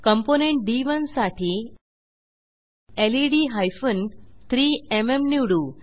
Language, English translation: Marathi, For the next component D1 we choose LED hyphen 3MM